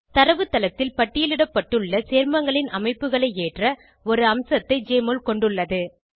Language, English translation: Tamil, Jmol has a feature to load structures of compounds listed in the database